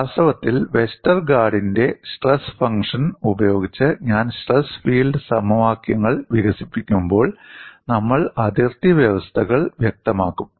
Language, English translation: Malayalam, In fact, when I develop the stress field equations using Westergaard’s stress function, we would specify boundary conditions